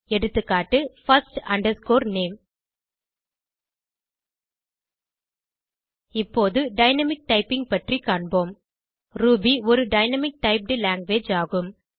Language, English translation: Tamil, Ex#160: first name Now let us see what is dynamic typing Ruby is a dynamic typed language